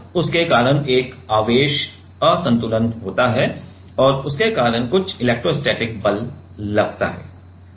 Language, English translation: Hindi, And, because of that there is a charge imbalance and because of that, there is one, there is some electrostatic force